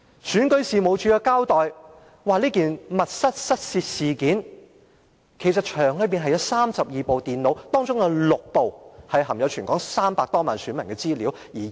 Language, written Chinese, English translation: Cantonese, 選舉事務處指出，在這宗密室失竊事件中，當時場內共有32部電腦，其中6部含有全港300多萬名選民的資料。, The Registration and Electoral Office pointed out that in this theft case which happened behind closed door there were a total of 32 computers in the venue and six of them contained the personal data of all 3 million odd electors in Hong Kong